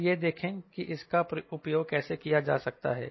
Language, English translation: Hindi, ok, now see how this can be used